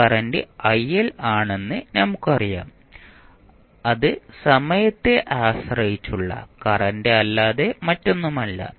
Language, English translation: Malayalam, We know that this is current it and current say il which is nothing but time dependent current